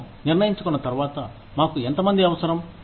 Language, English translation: Telugu, Once we have decided, how many people, we need